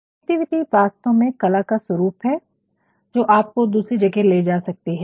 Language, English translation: Hindi, Creativity is actually in art form which can transport you